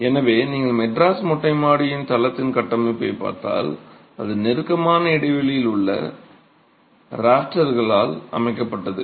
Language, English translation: Tamil, So, if you look at the configuration of the Madras Terrace Flow Slap, it's constituted by closely spaced rafters